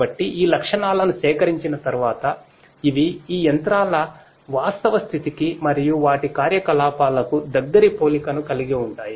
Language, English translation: Telugu, So, once these features are extracted these are the features which will have close resemblance to the actual state of these machines and their operations